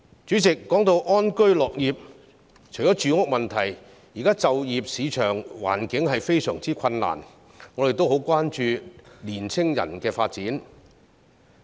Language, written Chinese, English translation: Cantonese, 主席，談到安居樂業，除了住屋問題，現時就業市場環境非常困難，我們也很關注青年人的發展。, President speaking of living and working in contentment I would like to say that apart from the housing problem employment market conditions these days are very difficult and we are also concerned about youth development